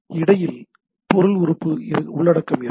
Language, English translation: Tamil, Stuff in between are element content right